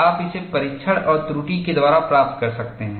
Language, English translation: Hindi, You can get it by trial and error